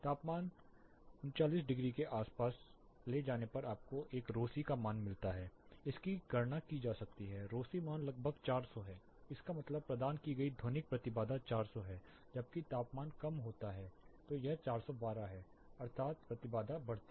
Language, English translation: Hindi, Let us take air as a medium a typical atmospheric pressure let us take a temperature around 39 degrees you get a rho c value, this can be calculated rho c value is around 400 that is the acoustic impedance provided is 400, while the temperature reduces you get around 412 that means impedance increases